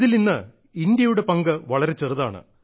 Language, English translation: Malayalam, Today India's share is miniscule